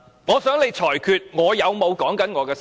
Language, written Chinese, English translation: Cantonese, 我想你裁決我有否談及我的修正案。, I ask you to rule whether or not I have talked about my amendments